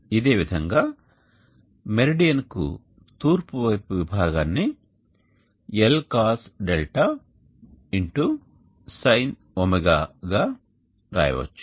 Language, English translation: Telugu, and along the east of the meridian Le we can write it as Lcosd sin